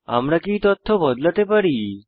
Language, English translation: Bengali, Can we edit this information